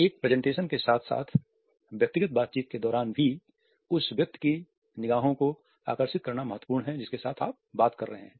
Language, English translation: Hindi, During a presentation as well as during a one to one conversation it is important to captivate the eyes of the person with whom you are talking